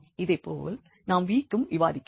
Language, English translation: Tamil, Similarly, we can discuss for v